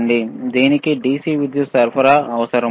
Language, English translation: Telugu, Is it in DC power supply